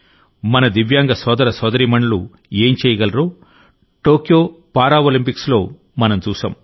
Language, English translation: Telugu, At the Tokyo Paralympics we have seen what our Divyang brothers and sisters can achieve